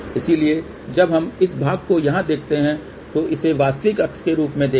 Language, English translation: Hindi, So, when we look at this part here, think about this as a real axis